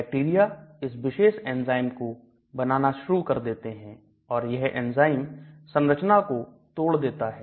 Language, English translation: Hindi, The bacteria starts developing this particular enzyme and this enzyme will break this structure